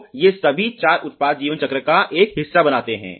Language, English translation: Hindi, So, these all four formulate a part of the product life cycle